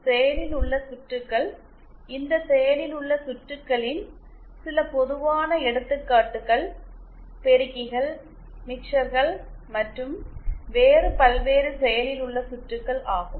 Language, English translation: Tamil, Now active circuits, some common examples of these active circuits are amplifiers, mixers and various other active circuits that are used